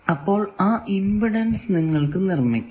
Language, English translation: Malayalam, So, you can make that impedance